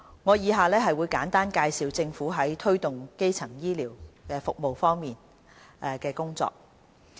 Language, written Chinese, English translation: Cantonese, 我以下會簡單介紹政府在推動基層醫療服務方面的工作。, In this speech I will give a brief account of Governments work in promoting the primary health care services